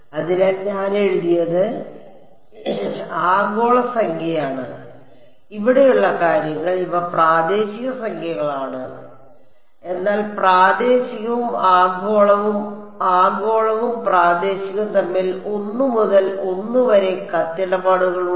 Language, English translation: Malayalam, So, what I have written are global numbers and these things over here these are local numbers, but there is a 1 to 1 correspondence between local and global and global and local ok